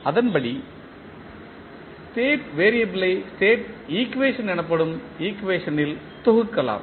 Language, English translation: Tamil, And, accordingly we can sum up the state variable into a equation call the state equation